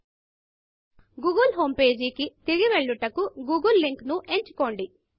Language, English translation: Telugu, Choose the google link to be directed back to the google homepage